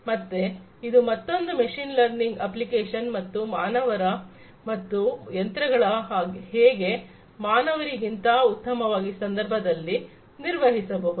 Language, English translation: Kannada, So, this is also another application of machine learning and how humans and machines can perform better than humans, in these contexts